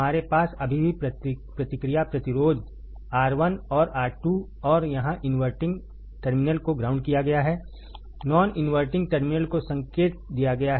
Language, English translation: Hindi, We still have the feedback resistance R 1 and R 2 and here the inverting terminal is grounded, non inverting terminal is given the signal